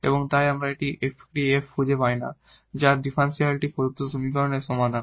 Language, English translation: Bengali, So, one the main job is to find this function f whose differential is exactly this given differential equation